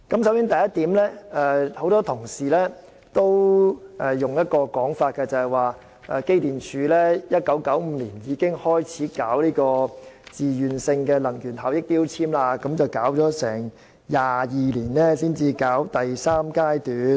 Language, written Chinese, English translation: Cantonese, 首先，很多同事都指出，機電工程署在1995年開始推行自願性能源效益標籤計劃 ，22 年後才進入第三階段。, First a number of colleagues have pointed out that the Electrical and Mechanical Services Department EMSD launched the voluntary energy efficiency labelling scheme in 1995; and it was not until 22 years later that MEELS has entered its third phase